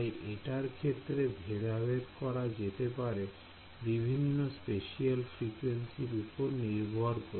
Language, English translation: Bengali, So, this is like separated on the all the different spatial frequency